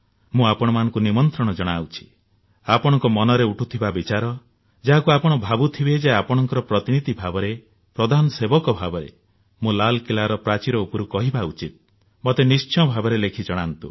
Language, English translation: Odia, I invite you to write to me about your thoughts that I, as your representative, as your Pradhan Sevak should talk about from the Red Fort